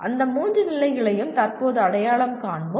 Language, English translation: Tamil, We will presently identify those three levels